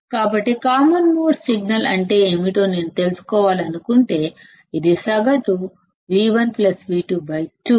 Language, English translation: Telugu, So, if I want to know what is common mode signal, this is nothing but the average of V 1 plus V 2 by 2